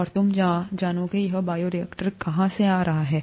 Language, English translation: Hindi, And you would go, ‘where is this bioreactor coming from’